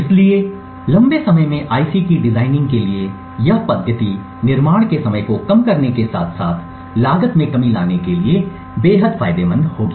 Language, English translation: Hindi, So, in the long run this methodology for designing ICs would be extremely beneficial to reduce development time as well as bring down cost